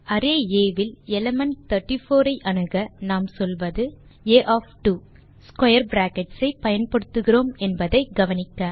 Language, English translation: Tamil, To access, the element 34 in array A, we say, A of 2, note that we are using square brackets